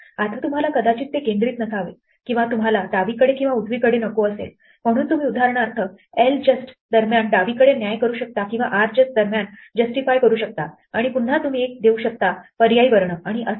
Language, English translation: Marathi, Now you may not want it centered or you may not want to the left or the right, so you can for example left justify during ljust or rjustify during rjust and again you can give an optional character and so on